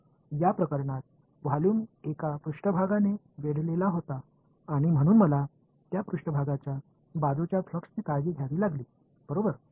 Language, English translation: Marathi, In this case the volume was enclosed by one surface and so I had to take care of the flux through that surface right